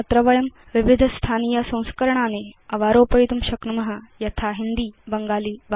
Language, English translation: Sanskrit, Here, we can download various localized versions, such as Hindi or Bengali